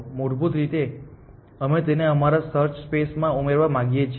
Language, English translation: Gujarati, Basically we want to add it to our search space